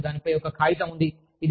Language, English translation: Telugu, There is actually a paper on it